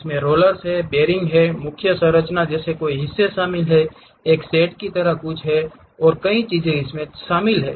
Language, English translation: Hindi, It includes many parts like rollers, bearings, main structure, there is something like a shade and many things